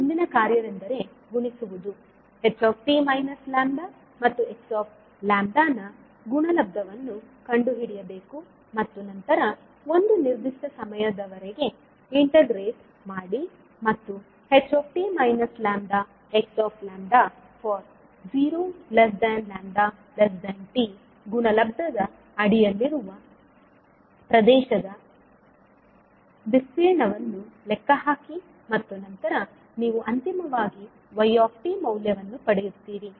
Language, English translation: Kannada, Now next task is that you have to multiply, find the product of h t minus lambda and x lambda and then integrate for a given time t and calculate the area under the product h t minus lambda x lambda for time lambda varying between zero to t and then you will get finally the value of yt